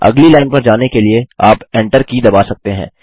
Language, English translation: Hindi, You can press the Enter key to go to the next line